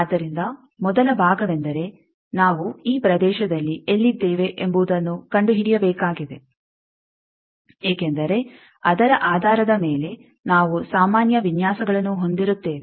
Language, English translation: Kannada, So, the first part is we will have to find out where we are in this region because based on that we will be having the generic designs